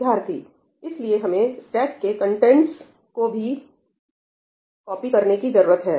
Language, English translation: Hindi, So, we need to copy the contents of the stack also